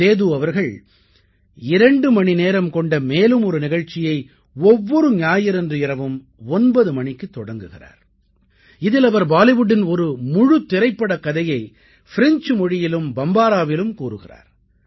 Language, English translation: Tamil, Seduji has started another twohour program now at 9 pm every Sunday, in which he narrates the story of an entire Bollywood film in French and Bombara